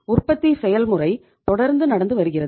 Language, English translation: Tamil, Manufacturing process is continuously going on